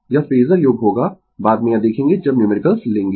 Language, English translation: Hindi, It will be phasor sum , we will see that later when we will take the numerical, right